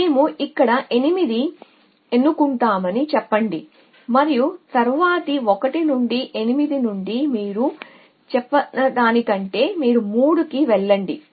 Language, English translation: Telugu, So, let us say we choose 8 here and than we say for the next 1 from 8 you go to 3 choose from the other 1 you put 3 here